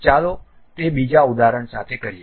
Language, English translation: Gujarati, Let us do that with another example